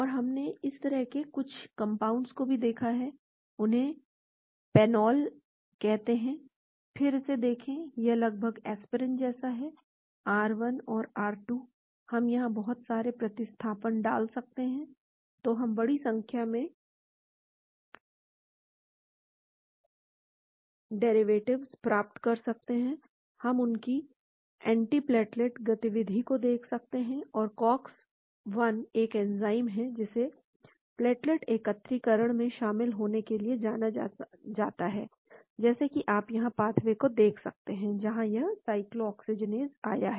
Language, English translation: Hindi, And we also have looked at some compounds like this, they are called Paenol, then look at it, it is almost like aspirin; R1 and R2, we can put a lot of substitutions here, so we can get a huge number of derivatives, we can look at antiplatelet activity of these and Cox 1 is an enzyme which is known to be involved in the platelet aggregation, as you can look at the pathway here, where here comes the cyclooxygenase